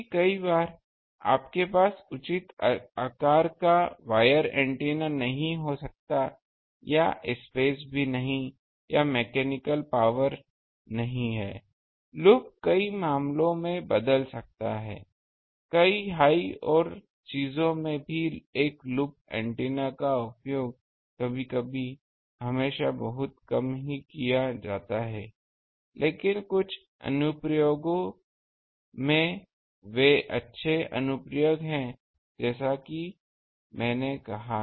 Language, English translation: Hindi, Because many times you cannot have a wire antenna of proper size or the space is not there or the mechanical strength is not there; loop can um replace that in many cases, in many high and things also a loop antenna sometimes are used not always very rarely, but in some applications they are good applications as I said ok